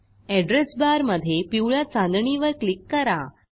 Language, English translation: Marathi, In the Address bar, click on the yellow star